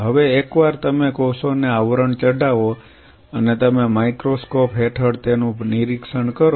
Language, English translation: Gujarati, Now once you plated the cells and you monitored them under the microscope